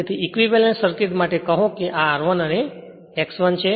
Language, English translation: Gujarati, Therefore, your equivalent circuit say this is R 1 and X 1